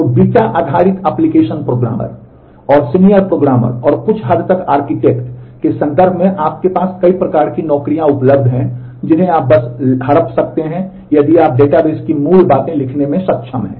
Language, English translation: Hindi, So, in terms of beta based application programmer and senior programmer and to some extent architect, you have a wide range of jobs available which you may just grab; if you have been able to study write the basics of the database